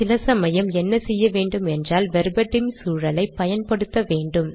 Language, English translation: Tamil, Now what we will do is, sometimes you have to include Verbatim environment